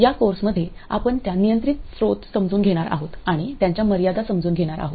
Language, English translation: Marathi, In this course what we will do is to realize those control sources and also understand their limitations